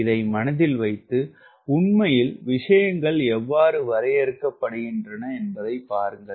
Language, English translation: Tamil, keep this in mind and see how, in reality, how things are defined